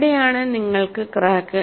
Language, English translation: Malayalam, And this is where you have the crack